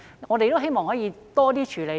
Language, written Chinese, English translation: Cantonese, 我們希望可以有多種處理。, We hope that there can be a variety of uses